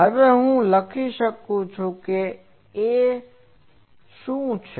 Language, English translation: Gujarati, Now, I can write that what is A